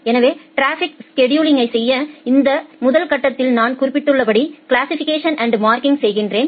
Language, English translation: Tamil, So, to do the traffic scheduling as I have mentioned the first stage is this classification and marking